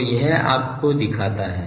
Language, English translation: Hindi, So, that shows you the thing